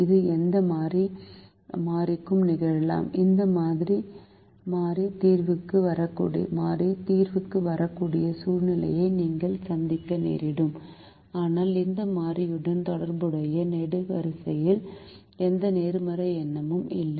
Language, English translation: Tamil, you you may encounter a situation where this variable can come into the solution, but it so happens that the column associated with this variable does not have any positive number